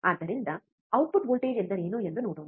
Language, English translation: Kannada, So, what is output voltage let us see